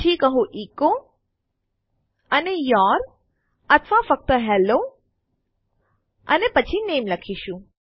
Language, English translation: Gujarati, Then just say echo and Your or just Hello and then name